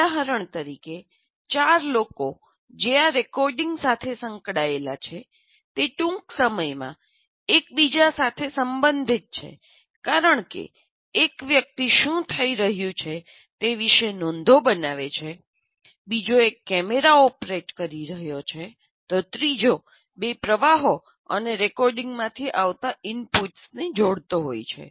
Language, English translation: Gujarati, For example, the four people that are associated with this recording, they are briefly interrelated to each other because one is kind of making notes about what is happening, another one is operating the camera, the other one is combining the inputs that come from two streams and trying to record